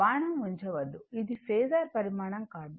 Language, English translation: Telugu, Do not put arrow, that this is not a phasor quantity